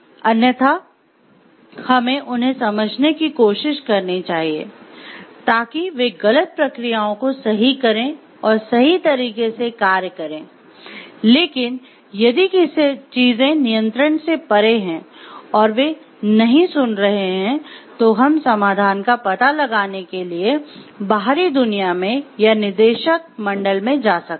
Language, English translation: Hindi, We should try to make them understand, so that they correct the wrong processes and do something in the right way, but if things are going beyond control and they are not listening then maybe we can go to the outside world or the board of directors and then to the outside world and find out the solution